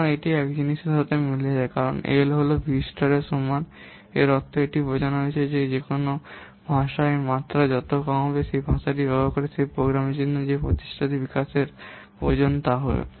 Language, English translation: Bengali, So it match with this thing that because L is equal to v star by V means, it implies that higher the level of a language, less will be the effort it requires to develop for that program using that language